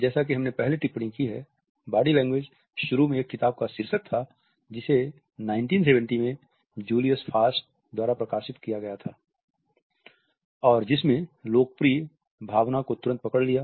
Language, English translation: Hindi, As we have commented earlier, Body Language was initially the title of a book which was published in 1970 by Julius Fast, and it gripped the popular imagination immediately